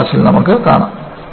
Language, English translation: Malayalam, We will see in the next class